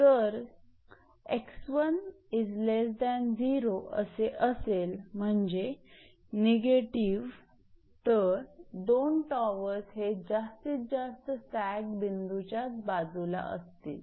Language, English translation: Marathi, So, that is if x 1 is less than 0, that is negative both the towers on the same side of the point of maximum sag